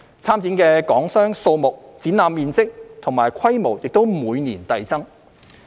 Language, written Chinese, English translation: Cantonese, 參展的港商數目、展覽面積和規模也每年遞增。, The number of participating Hong Kong enterprises and the size and scale of CIIE have been increasing gradually every year